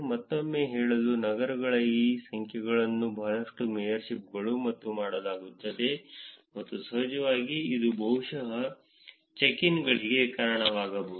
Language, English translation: Kannada, Once again to say that cities generate a lot of these tips mayorships and dones and of course, this would also probably lead in to check ins also